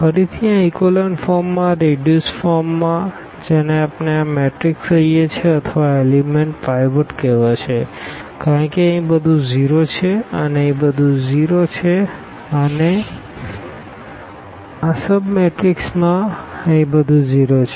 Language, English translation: Gujarati, Again, in this reduced form in this echelon form which we call this matrix will be called or this element will be called a pivot because everything here is 0 everything here is 0 and in this sub matrix everything is 0 here